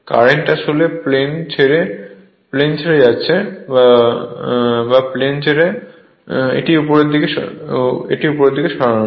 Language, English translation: Bengali, Current actually leaving the plane, or leaving the plate, so move it upward